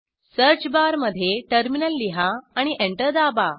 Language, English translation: Marathi, In the search bar, write terminal and press Enter